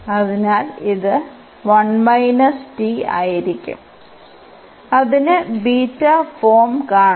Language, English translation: Malayalam, So, this will be 1 minus t which we want to have to see this beta form